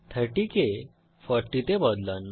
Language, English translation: Bengali, Change 30 to 40